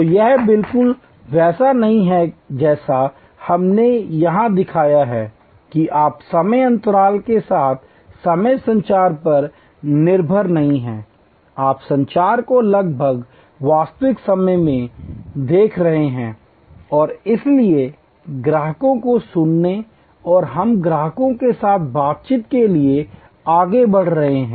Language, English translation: Hindi, So, it is not exactly as we showed here that you are not dependent on time lag communication with time lag, you are looking at communication almost in real time and therefore, from listening to customers we are moving to dialogue with the customers